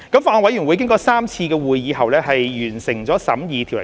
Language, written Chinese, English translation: Cantonese, 法案委員會經過3次會議後完成審議《條例草案》。, The Bills Committee completed the scrutiny of the Bill after three meetings